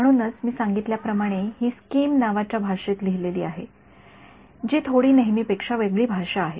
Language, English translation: Marathi, So, this is as I mentioned is written in a language called scheme which is a slightly unusual language